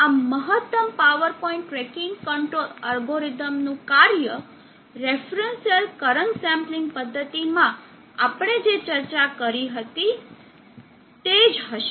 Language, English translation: Gujarati, And then the functioning of the maximum power point, tracking control algorithm will be similar to what we had discussed, in the reference cell current sampling method